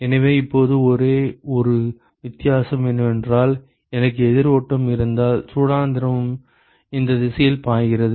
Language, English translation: Tamil, So, now, the only difference is that supposing if I have counter flow, where the hot fluid is flowing in this direction